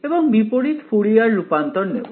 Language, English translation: Bengali, And take the inverse Fourier transform ok